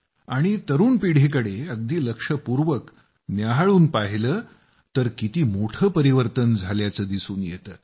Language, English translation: Marathi, And when we cast a keen glance at the young generation, we notice a sweeping change there